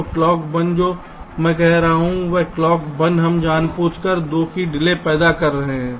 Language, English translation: Hindi, what i am saying is that clock one we are generating a delay of deliberately